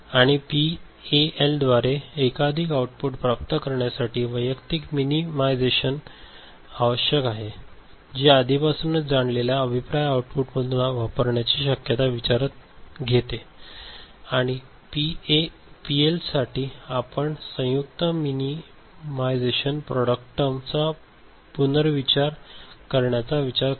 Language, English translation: Marathi, And realization of multiple outputs by PAL requires individual minimization, it takes into consideration the possibility of using feedback from an already realized output and for PLA, we considered joint minimization and reuse of product terms ok